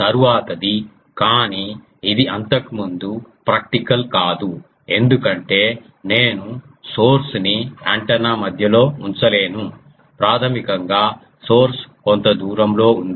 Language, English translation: Telugu, The next one is, but this is not practical the earlier case that was not practical because I cannot put the source into the center of the antenna basically source is at a distance